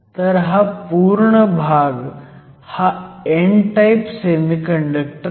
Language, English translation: Marathi, So, this is an n type semiconductor